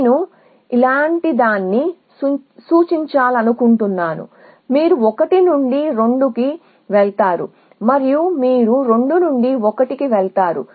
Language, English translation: Telugu, Supposing I want to represent something like this you go to 2 from 1 and you go to 1 from 2 and so on